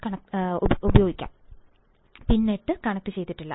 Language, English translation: Malayalam, And pin 8 is not connected